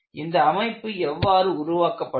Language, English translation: Tamil, How the structure has been fabricated